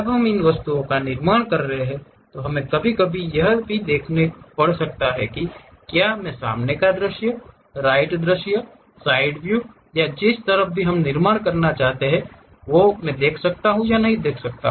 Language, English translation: Hindi, When we are constructing these objects we may have to occasionally click whether I would like to construct front view, right view, side view or on which side we would like to construct